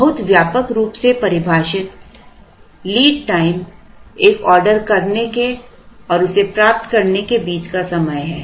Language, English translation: Hindi, Very broadly defined, lead time is the time between placing an order and receiving it